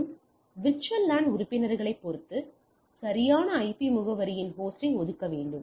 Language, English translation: Tamil, So, I need to connect that and assign the host of the correct IP address depending on the VLAN membership